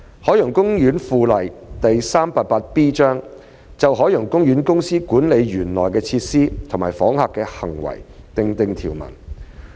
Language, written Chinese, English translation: Cantonese, 《海洋公園附例》就海洋公園公司管理園內的設施及訪客的行為訂定條文。, The Ocean Park Bylaw Cap . 388B the Bylaw provides for the management of facilities and conduct of visitors in OP by OPC